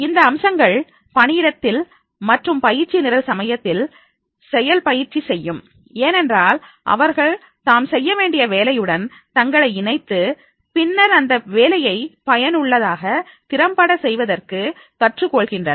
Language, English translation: Tamil, This aspect that will make the active practice at the workplace and also at the time of the training programs because they are able to connect that whatever the task they are supposed to do and then how to do those tasks efficiently and effectively that they can learn here